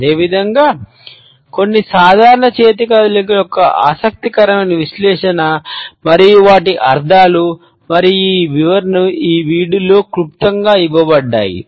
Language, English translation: Telugu, Similarly, we find that an interesting analysis of some common hand movements and their meanings and interpretations are succinctly given in this video